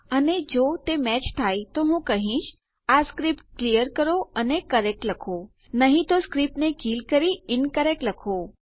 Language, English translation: Gujarati, And if they do match then Ill say clear this script and write correct otherwise Ill just kill the script and say incorrect